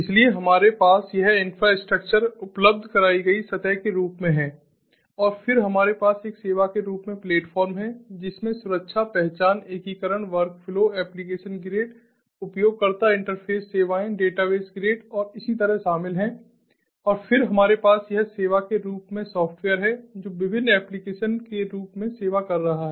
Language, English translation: Hindi, and then we have the platform is a service which includes security, identification, integration, workflow, application grid, user interface services, database grid and so on, and then we have this software as a service which we serving different applications as well